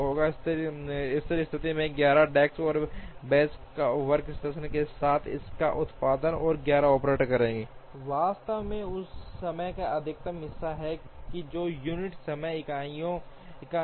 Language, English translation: Hindi, And at steady state the output of this with 11 desks and benches or workstations, and 11 operators will actually be the maximum of the time which is 8 time units